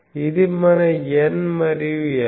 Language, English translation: Telugu, This is N